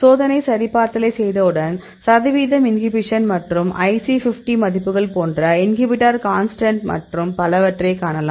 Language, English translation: Tamil, Once you do the validation, then you can see the percentage inhibition as well as the inhibitor constant like the IC50 values and so on